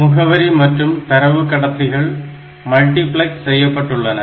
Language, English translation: Tamil, Address and data bus so, they are multiplexed